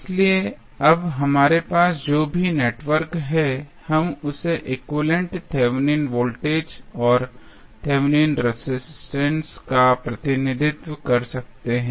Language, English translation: Hindi, So, now, whatever the network we have, we can represent with its equivalent Thevenin voltage and Thevenin resistance